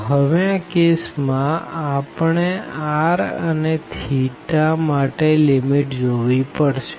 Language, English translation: Gujarati, So, in this case, now we have to see the limits for R and also for theta